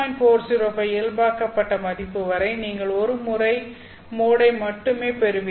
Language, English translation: Tamil, 405 normalized value of V, you only get a single moded propagation